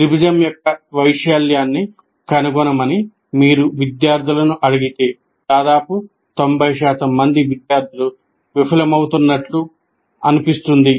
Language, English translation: Telugu, If you ask the student to find the area of a triangle, almost 90% of the students seem to be failing